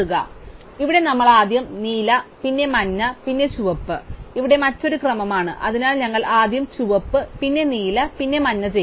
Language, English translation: Malayalam, So, here is one sequence where we do blue first, then yellow, then red here is some another sequence, so we do red first, then blue then yellow